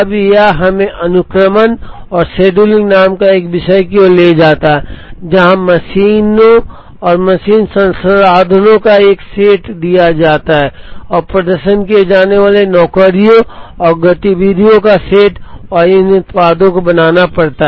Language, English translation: Hindi, Now, that leads us to a topic called sequencing and scheduling, where given a set of machines and machine resources and the set of jobs and activities to be performed and these products have to be made